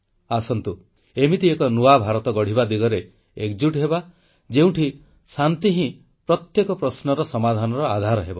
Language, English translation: Odia, Come, let's together forge a new India, where every issue is resolved on a platform of peace